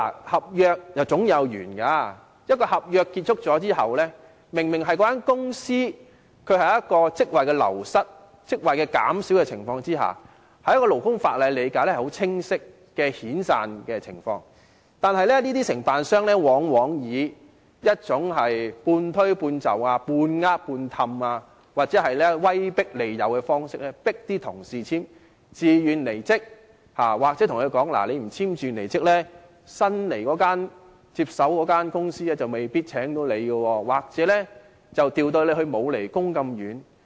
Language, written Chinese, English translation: Cantonese, 合約總有完結的時候，一份合約完結後，有關公司明顯流失或減少了一個職位，按勞工法例的理解，是很清晰的遣散情況，但這些承辦商往往以半推半就、"半呃半氹"或威迫利誘的方式，迫員工簽署自願離職信，或對他們說，如果不簽署離職信，新接手的公司未必會聘用他們，又或會把他們調職至偏遠地方。, After a contract has expired there is obviously a loss or reduction of post in the company concerned . According to the interpretation of the labour legislation it is a clear case of severance . However these contractors often force the employees to sign a voluntary resignation letter by persuading them with pressure lying to them with sweet talk or adopting the carrot and stick approach or they will tell them that if they did not sign the resignation letter the new company taking over may not hire them or may transfer them to the remote areas